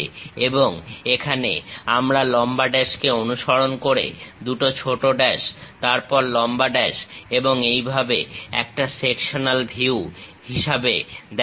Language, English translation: Bengali, And here we are showing long dash followed by two short dashes, long dash and so on as a sectional view